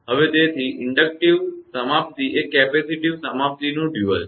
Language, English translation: Gujarati, So, therefore, the inductive termination is the dual of the capacitive termination